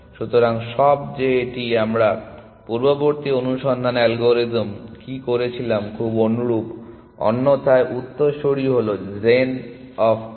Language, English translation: Bengali, So, all that it is very similar to what we did in earlier search algorithm, else successors is the move gen of n